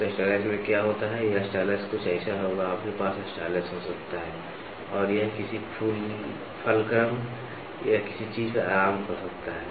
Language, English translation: Hindi, So, what happens in a stylus, this stylus will be something like, you can have a stylus and this can be resting on a something on a fulcrum or something